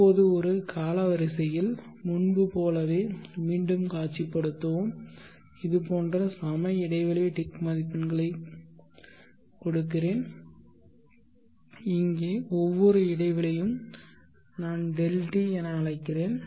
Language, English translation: Tamil, Now let us visualize again like before on a timeline and I will mark equates ticks marks like this and each interval here is what I will call